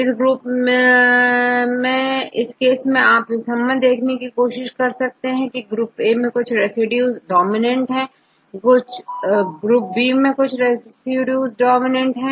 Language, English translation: Hindi, So, in this case, you can try to relate you can try to understand why some a residues are dominant in group A and some residues are dominant group B